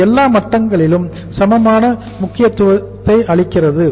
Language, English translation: Tamil, It gives the equal importance at all the levels